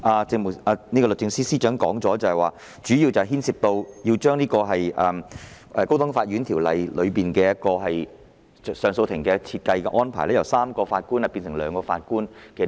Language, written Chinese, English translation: Cantonese, 正如律政司司長剛才所說，這項修正案主要是將《高等法院條例》中上訴法庭的組成由3名法官改為兩名。, According to the earlier speech of the Secretary for Justice this amendment mainly seeks to amend the High Court Ordinance to allow a bench in the Court of Appeal CA to be made up of two Justices of Appeal instead of three Justices of Appeal